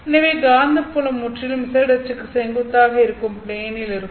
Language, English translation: Tamil, So, this is the Z axis, this is the plane that is perpendicular to the axis of propagation